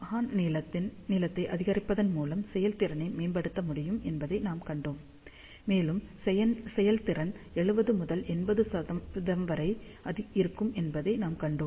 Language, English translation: Tamil, We had seen that efficiency can be improved by increasing the horn length, and we saw that efficiency can be of the order of 70 to 80 percent